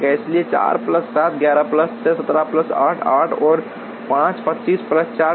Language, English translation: Hindi, So, 4 plus 7, 11 plus 6, 17 plus 8, 8 and 5, 25 plus 4, 29